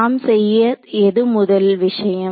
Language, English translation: Tamil, So, what is the first thing I have to do